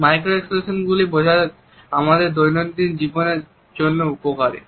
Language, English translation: Bengali, Understanding micro expressions is beneficial in our day to day life